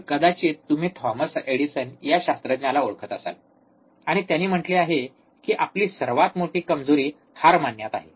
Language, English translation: Marathi, So, you may be knowing the scientist Thomas Edison, and he said that our greatest weakness lies in giving up